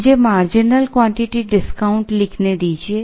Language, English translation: Hindi, Let me write the marginal quantity discount